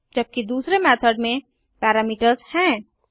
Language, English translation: Hindi, While the second method has parameters